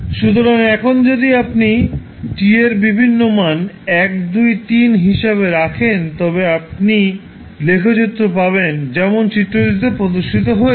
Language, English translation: Bengali, So, it is now if you keep on putting the value of various t that is time as 1, 2, 3 you will get the curve which would like as shown in the figure